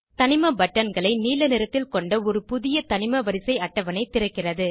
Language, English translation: Tamil, A new Periodic table opens with elements buttons in Blue color